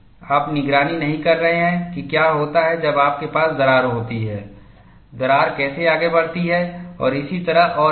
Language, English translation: Hindi, You are not monitoring what happens when you have a crack, how the crack proceeds and so on and so forth